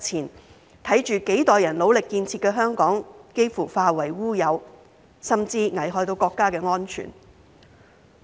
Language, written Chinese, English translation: Cantonese, 我們看到幾代人努力建設的香港幾乎化為烏有，甚至危害國家安全。, We have seen Hong Kong which generations of people have worked so hard to build being almost reduced to nothing and even endangering national security